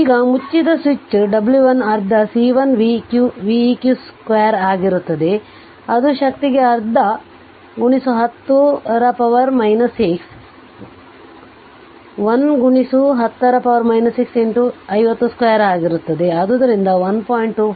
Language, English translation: Kannada, Now, as switch closed w 1 will be half C 1 v eq square, it will be half into 10 to the power minus 6, 1 into 10 to the power minus 6 into 50 square